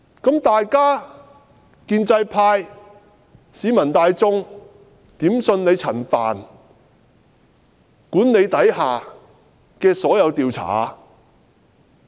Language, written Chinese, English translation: Cantonese, 請問建制派，市民大眾如何能相信在陳帆管理下的所有調查？, May I ask the pro - establishment camp how members of the public can believe in all the investigations under Frank CHANs supervision?